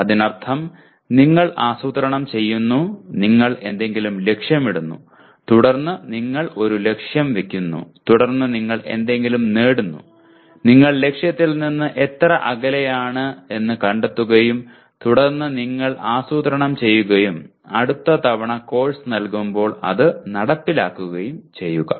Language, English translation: Malayalam, That means you plan, you aim at something and then you set a target for yourself and then you attain something and you find out how far you are from the target and then plan action and implement it next time you offer the course